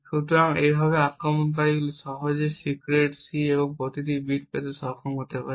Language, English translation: Bengali, So, in this way the attacker could simply be able to obtain every bit of the secret C